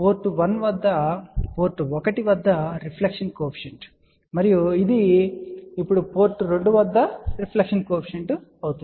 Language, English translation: Telugu, So, hence S 11 is reflection coefficient at port 1 and this is now reflection coefficient at port 2